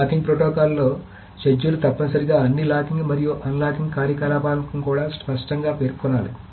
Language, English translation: Telugu, In a locking protocol, a schedule must also mention explicitly all the locking and unlocking operations